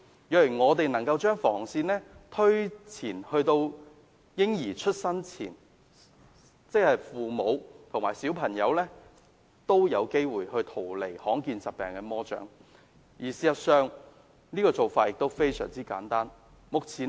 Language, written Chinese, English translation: Cantonese, 若我們能夠把防線推前至嬰兒出生前便更好，即父母及小朋友均有機會逃離罕見疾病的魔掌，而事實上做法亦非常簡單。, It will be ideal if we can push the front line of defence to the prenatal stage . In that case parents and their children could stand a chance to escape the devils clutches of rare diseases and in fact the approach is very simple